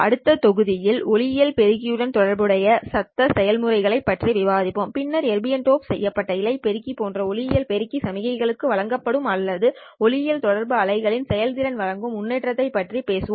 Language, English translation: Tamil, In the next module, we will discuss the noise processes that are associated with the optical amplifier and then talk about the improvement that an optical amplifier such as Arbm doped fiber amplifier provides to the signal or to provide the performance of the systems in optical communication systems